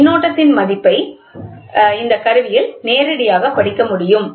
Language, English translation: Tamil, The value of the current can be directly read in this instrument